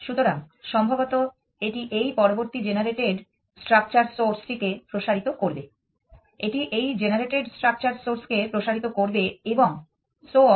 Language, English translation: Bengali, So, maybe it will expand this next generated structure source may be it will expand this generated structure source and so on